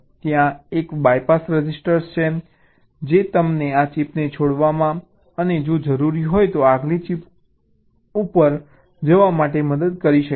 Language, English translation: Gujarati, there is a bypass register which can help you to skip this chip and go to the next chip if required